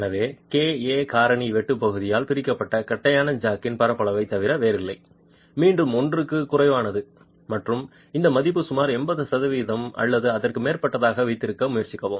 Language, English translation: Tamil, So, the KA factor is nothing but area of the flat jack divided by area of the cut, again less than one and try to keep this value at about 80% or higher